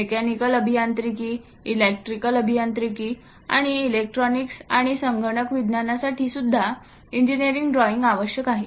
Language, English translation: Marathi, Even for mechanical engineering, electrical engineering, and electronics, and computer science engineering drawing is very essential